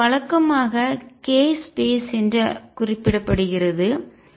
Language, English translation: Tamil, And by the way this is usually referred to as the k space